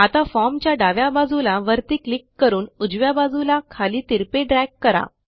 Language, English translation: Marathi, Now, let us click on the top left of the form and drag it diagonally to the bottom right